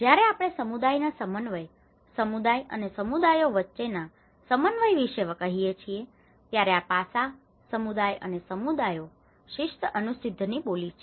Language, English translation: Gujarati, When we say about community coordination, the coordination between community and communities, there is a dialect of these aspects, community and communities, discipline, undisciplined